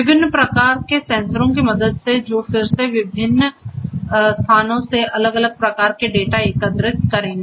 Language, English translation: Hindi, With the help of different types of sensors which will be again collecting different types of data from different locations and so on